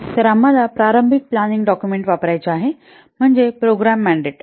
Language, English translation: Marathi, So this is the initial planning document is known as the program mandate